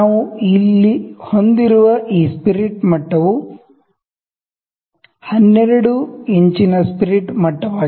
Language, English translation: Kannada, So, this spirit level that we have here is a 12 inch spirit level